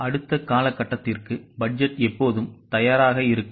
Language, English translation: Tamil, Budget is always prepared for the next period